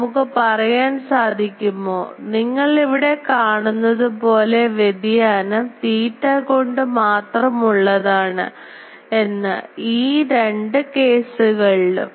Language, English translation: Malayalam, So, can we say you see the variation with respect to theta is only theta in both the cases